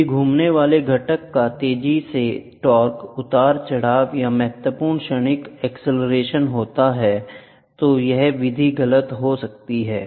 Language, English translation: Hindi, If there is a rapid torque fluctuation or significant transient acceleration of the rotating component, this method can be inaccurate